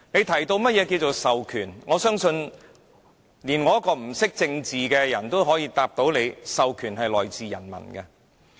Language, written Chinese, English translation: Cantonese, 他又提及何謂"授權"，但我相信即使不懂政治的人也能知道，權力是由人民授予。, He also mentioned the meaning of delegation but I trust that even someone who knows nothing about politics can tell that power is conferred by the people